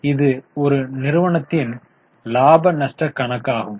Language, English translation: Tamil, So, this is our profit and loss account